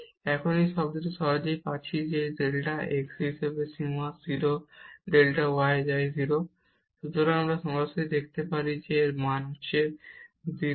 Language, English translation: Bengali, And now this term we can easily see that here the limit as delta x goes to 0 delta y goes to 0